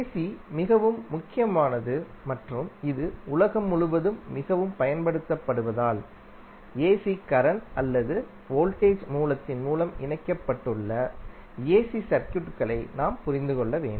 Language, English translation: Tamil, So, since AC is very prominent and it is highly utilized across the globe, we need to understand the AC and the AC circuits which are connected through AC current or voltage source